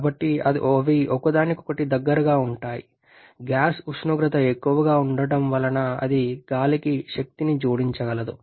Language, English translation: Telugu, So they are in close proximity of each other gas temperature being higher it will be able to add energy to the air